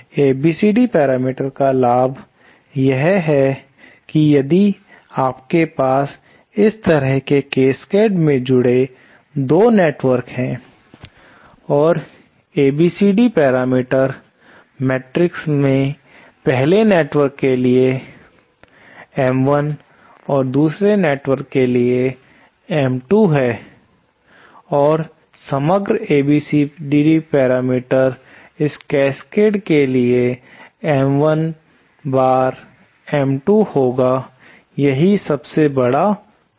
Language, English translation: Hindi, The advantage of an ABCD parameter is that if you have say 2 networks connected in Cascade like this and say the ABCD parameter matrix all the 1st M1 and 2nd network is M2 and the overall ABCD parameter of this Cascade will be M1 times M2, that is the biggest advantage